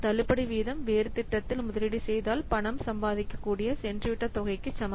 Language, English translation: Tamil, So, discount rate is equivalent to that forgone amount which the money could earn if it were invested in a different project